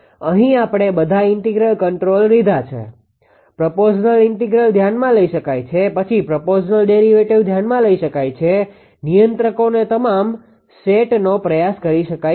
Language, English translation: Gujarati, Here we have taken all the integral controller, a professional integral can be considered, then proportional integral integral derivative can be considered all set of controllers can be tried